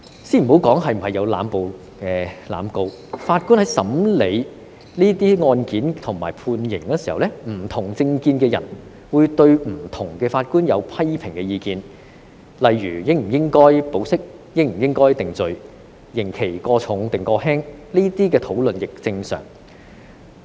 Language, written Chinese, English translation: Cantonese, 先不談論當中有否濫捕、濫告，法官在審理這些案件及判刑時，不同政見的人都會對不同的法官提出批評意見，例如應否批准保釋、應否予以定罪、刑期過重或過輕，這些討論亦屬正常。, Let us not discuss whether there were indiscriminate arrests and prosecutions . When the judges heard those cases and handed down sentences people with different political views would make comments and criticisms in respect of different judges such as whether bail should be granted whether convictions should be made and whether the sentences were too heavy or too lenient . It is normal to have those discussions